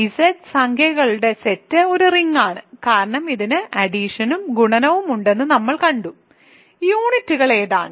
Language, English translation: Malayalam, So, the Z the set of integers Z is a ring, because we saw that it has addition and multiplication, what are the units